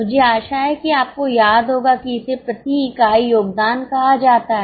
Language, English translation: Hindi, I hope you remember that is called as a contribution per unit